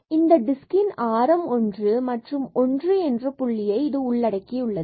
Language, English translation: Tamil, So, this disk of this radius one and including this 1 so, we have the boundaries there